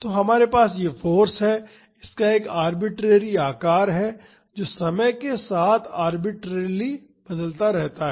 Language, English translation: Hindi, So, we have this force and it is having an arbitrary shape it is varying arbitrarily with time